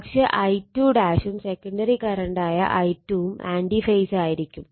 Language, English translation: Malayalam, But I 2 dash and I 2 the secondary current must been anti phase